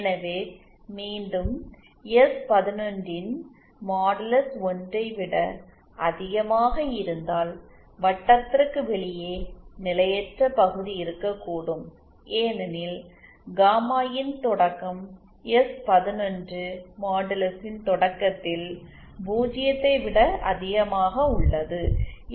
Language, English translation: Tamil, So once again if modulus of s11 is greater than 1 then outside of the circle is the potentially unstable region because the origin the value of gamma IN at the origin that is s11 modulus itself is greater than zero